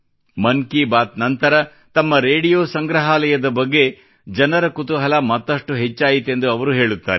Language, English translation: Kannada, He says that after 'Mann Ki Baat', people's curiosity about his Radio Museum has increased further